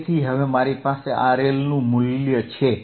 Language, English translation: Gujarati, So, now I have value of R L I have found it